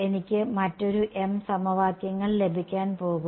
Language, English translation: Malayalam, I am going to get another m equations